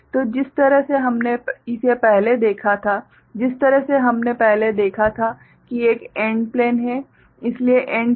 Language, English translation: Hindi, So, the way we had seen it before; the way we had seen before that there is an AND plane ok